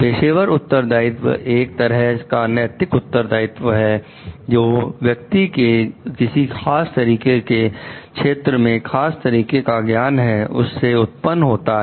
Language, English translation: Hindi, Professional responsibility is a form of moral responsibility which arises due to the special knowledge the person possesses about a particular domain